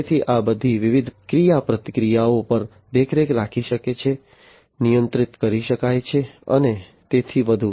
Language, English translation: Gujarati, So, all these different interactions can be monitored, controlled, and so on